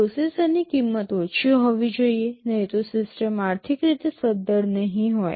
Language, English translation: Gujarati, The processor has to be low cost otherwise the system will not be economically viable